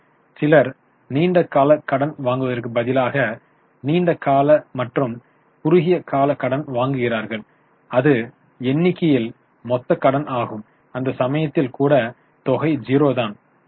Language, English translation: Tamil, Some people instead of long term borrowing take long term plus short term borrowing that is total borrowing in the numerator even in that case the amount is zero